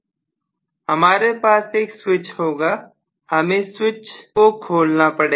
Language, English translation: Hindi, Basically, you will have a switch ,open the switch